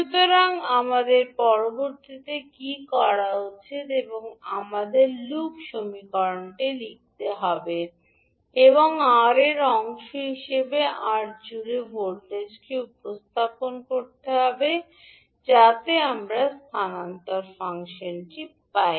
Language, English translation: Bengali, So what we have to do next, now we have to write the loop equation and represent the voltage across R as part of Vi, so that we get the transfer function